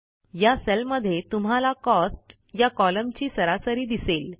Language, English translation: Marathi, You see that the average of the Cost column gets displayed in the cell